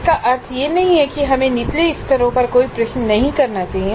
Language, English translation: Hindi, Now this is not imply that we should not have any questions at lower levels